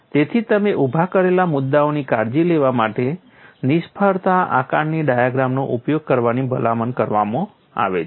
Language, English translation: Gujarati, So, to take care of the issues that you have raised, the use of failure assessment diagram is recommended